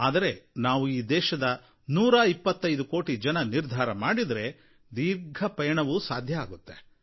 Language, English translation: Kannada, If we, 125 crore Indians, resolve, we can cover that distance